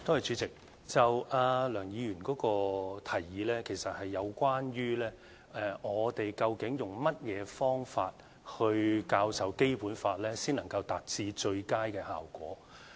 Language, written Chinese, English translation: Cantonese, 主席，梁議員的提議，其實是有關當局究竟用甚麼方法教授《基本法》，才能夠達致最佳的效果。, President the suggestion of Dr LEUNG is about what method the authorities should use in teaching the Basic Law in order to achieve the best effect